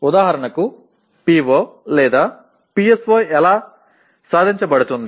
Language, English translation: Telugu, For example how is the PO/PSO attained